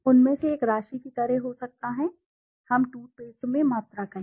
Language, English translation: Hindi, One of them could be like the amount of quantity let us say in the toothpaste